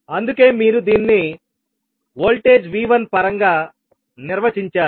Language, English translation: Telugu, You have to find out the value of voltage V2 in terms of V1